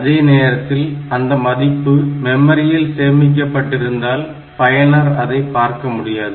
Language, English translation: Tamil, So, if the value is stored in the memory then a general user will not be able to see that